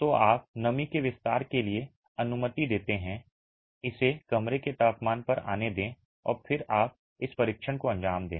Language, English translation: Hindi, So, you allow for moisture expansion, let it come down to room temperature and then you carry out this test